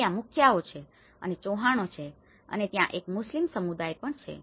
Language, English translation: Gujarati, There is a mukhiyas, there is chauhans and there is a Muslim community